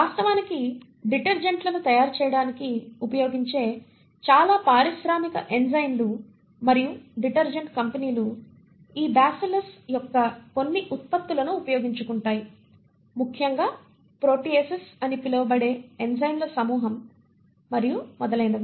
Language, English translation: Telugu, In fact most of the industrial enzymes and detergent companies for example which are used to make detergents, make use of certain products of these Bacillus, particularly a group of enzymes called proteases and a few other